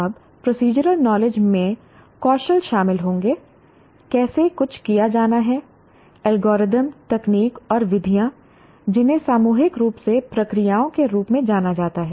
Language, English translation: Hindi, Now, procedural knowledge will include skills, how something is to be performed, algorithms, techniques and methods collectively known as procedures